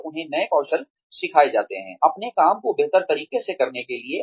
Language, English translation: Hindi, And, they are taught newer skills, for performing their work, as optimally as possible